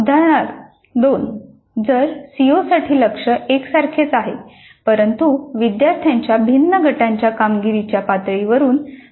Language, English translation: Marathi, Example 2 targets are the same for all CEOs but are set in terms of performance levels of different groups of students